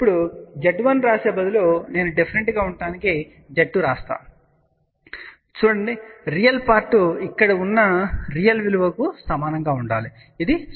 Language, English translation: Telugu, Now, instead of a writing Z 1, I have written Z 2 just to be different, read the value real part should be exactly same as the real value which was here which is 0